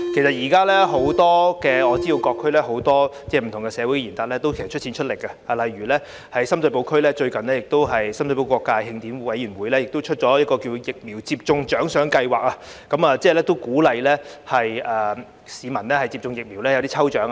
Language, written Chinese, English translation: Cantonese, 我知道現時各區多位社會賢達出錢出力，例如在深水埗區，最近深水埗各界慶典委員會推出了疫苗接種獎賞計劃，為鼓勵市民接種疫苗而舉辦抽獎活動。, I understand that many community leaders in various districts have contributed money and efforts for this cause . In Sham Shui Po for instance the Sham Shui Po Celebrations Association has recently introduced a vaccination reward scheme under which a lucky draw is held to encourage the public to receive vaccination